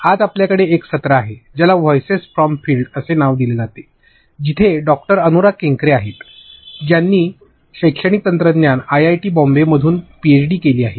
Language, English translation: Marathi, Today we are having a session which is called voices from the field, where we have Doctor Anura Kenkre who is PhD from Educational Technology, IIT, Bombay